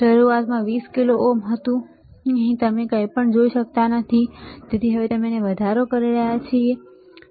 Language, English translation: Gujarati, Initially it was 20 kilo ohm, here you cannot see anything so now, we are increasing it, right